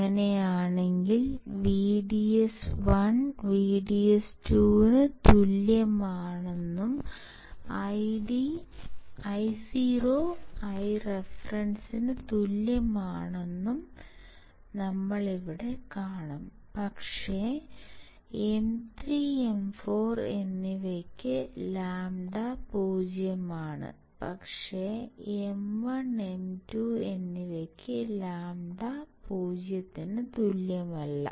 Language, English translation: Malayalam, VDS one equals to VDS 2, implies Io equals to I reference right, but the catch is here that, lambda for M 3 and M 4 is 0, but for M1 and M 2 is not equal to 0